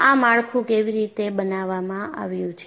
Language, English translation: Gujarati, How the structure has been fabricated